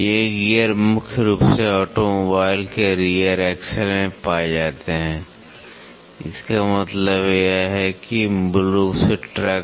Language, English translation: Hindi, These gears are mainly found in rear axle of automobile; that means to say basically trucks